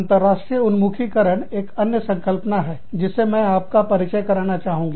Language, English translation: Hindi, International orientation, is another concept, that i want to, introduce you to